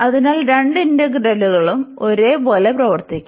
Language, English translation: Malayalam, So, both the integrals will behave the same